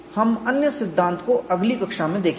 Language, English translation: Hindi, We look at the other theory in the next class